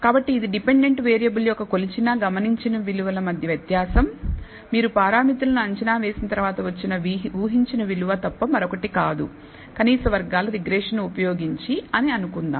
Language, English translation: Telugu, So, this is nothing but the difference between the measured, observed value of the dependent variable minus the predicted value after you have estimated the parameters, let us say using least squares regression